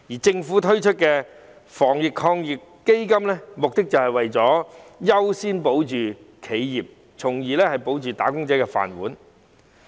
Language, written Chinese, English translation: Cantonese, 政府推出的防疫抗疫基金，目的是為了優先保住企業，從而保住"打工仔"的"飯碗"。, The Anti - epidemic Fund launched by the Government is to give priority to protecting the enterprises thereby protecting the rice bowls of wage earners